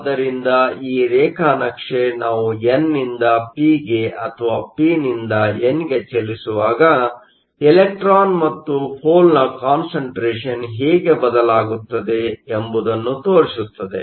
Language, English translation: Kannada, So, this graph shows you how the electron and the hole concentration change, as we move from the n to the p or from p to n